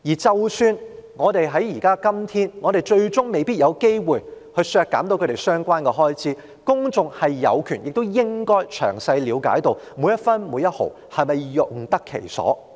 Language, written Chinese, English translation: Cantonese, 即使今天最終我們未必有機會削減其預算開支，但公眾也有權詳細了解當中的每分每毫是否用得其所。, Even we may not have the chance to reduce its estimated expenditure today the public still have the right to know if every cent will be well - spent